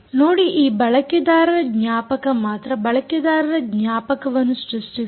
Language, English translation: Kannada, see this, user memory alone has created user memory